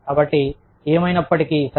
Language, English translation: Telugu, So, anyway, okay